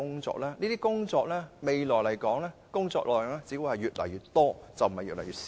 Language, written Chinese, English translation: Cantonese, 這些工作未來的工作量只會越來越多，而不會越來越少。, The load of such work will only increase not decrease in future